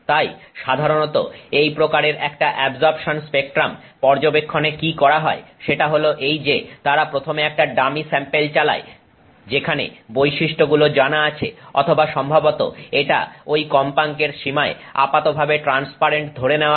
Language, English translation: Bengali, So, normally what is done in this kind of absorption spectrum study is that they first run a dummy sample where the characteristics are known or it is supposed to be relatively transparent in that frequency range